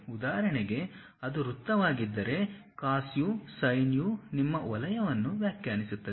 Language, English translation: Kannada, For example, if it is a circle cos u sin u defines your circle